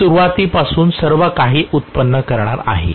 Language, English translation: Marathi, It is going to generate everything from scratch